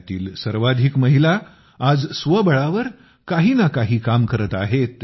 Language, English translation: Marathi, Most of these women today are doing some work or the other on their own